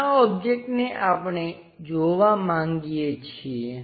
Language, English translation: Gujarati, This object we would like to visualize